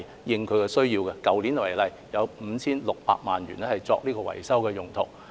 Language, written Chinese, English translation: Cantonese, 以去年為例，有 5,600 萬元作維修用途。, In the case of last year for example 56 million were used for maintenance